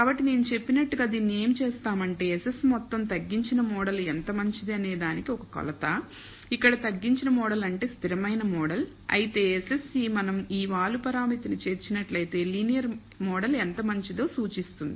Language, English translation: Telugu, So, what we are doing it as I said that SS total is a measure of how good the reduced model is which is reduced model here implies a constant model whereas, the SSE represents how good the linear model if we include this slope parameter